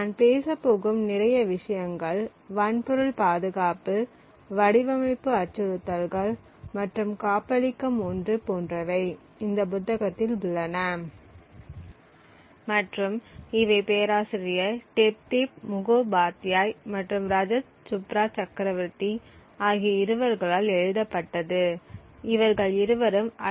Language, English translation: Tamil, A lot of what I am going to be talking about is present in this book hardware security, design threats and safeguards by Professor Debdeep Mukhopadhyay and Rajat Subhra Chakravarthy from IIT Kharagpur